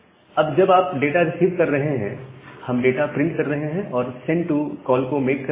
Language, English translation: Hindi, And once you are receiving data we are printing some data and making a send to call